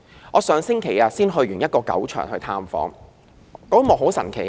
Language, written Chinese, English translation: Cantonese, 我上星期探訪一個狗場時曾目睹很神奇的一幕。, I witnessed a very amazing scene last week when I went to visit a kennel